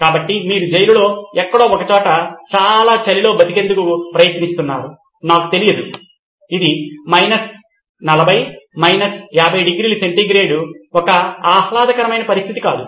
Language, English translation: Telugu, So you are better off in the prison than out there somewhere trying to just survive in this bitter cold, I don’t know 40/ 50°C is not a pleasant condition